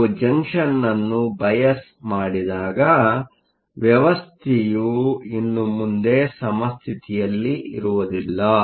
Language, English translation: Kannada, When you bias a junction, the system is no longer in equilibrium